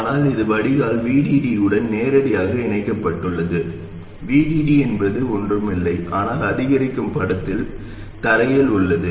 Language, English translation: Tamil, But if this is connected directly to VDD, the drain is connected directly to VDD, VDD is nothing but ground in the incremental picture